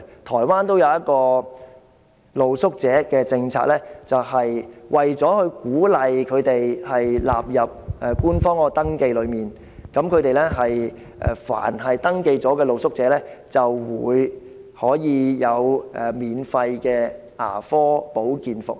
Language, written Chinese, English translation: Cantonese, 台灣有一項露宿者政策，就是為了鼓勵露宿者進行官方登記，凡是已登記的露宿者，便可享免費的牙科保健服務。, In Taiwan in order to encourage street sleepers to complete the official registration one policy on street sleepers is that street sleepers who have registered are entitled to free dental care services